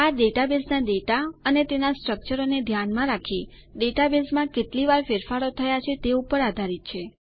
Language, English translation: Gujarati, This depends on how often the database gets changed in terms of data or its structure